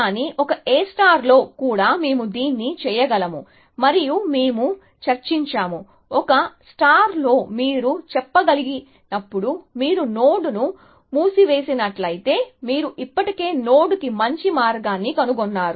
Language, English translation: Telugu, But, in A star also we can do that and the we had discussed that, when in A star can you say, that if you have put a node in closed, you have already found the best path to the node